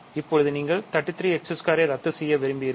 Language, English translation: Tamil, Now, you want to cancel 33 x squared